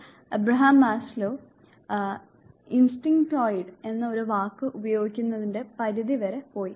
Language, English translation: Malayalam, In fact, Abraham Maslow went to the extent of using a word instinctoid instinct, like this is what he meant by this word